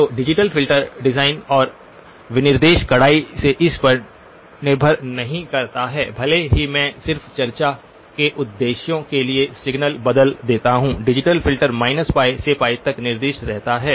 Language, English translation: Hindi, So the digital filter design and specification does not strictly depend on even if I change the signal for just for discussion purposes, the digital filter remains specified from minus pi to pi